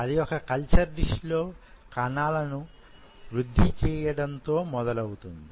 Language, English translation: Telugu, That is in a culture dish when you grow cells